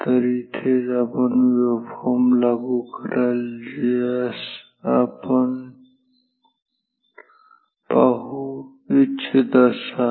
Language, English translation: Marathi, So, this is where you apply the waveform, which you want to see ok